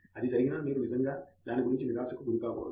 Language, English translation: Telugu, But even if that happens you should not be really getting a depressed about that